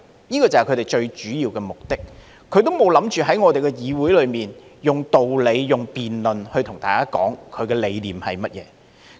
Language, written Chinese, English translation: Cantonese, 這個就是他們最主要的目的，他們並無想過在議會內以道理、辯論，對大家說他的理念是甚麼。, This is precisely their main purpose . They have never thought of explaining their convictions to others in the legislature through reasoning or debate